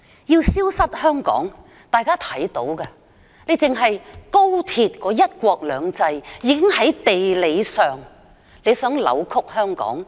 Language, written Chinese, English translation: Cantonese, 要令香港消失，單是高鐵的"一地兩檢"，已在地理上扭曲香港。, To make Hong Kong vanish the co - location arrangement of the Express Rail Link alone is sufficient to deform Hong Kong geographically